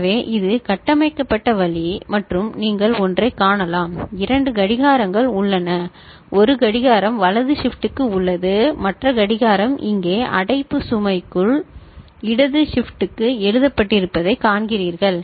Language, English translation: Tamil, So, this is the way it has been configured and you can see one two clocks are there one clock is for right shift that is there, the other clock over here you see it is written left shift within bracket load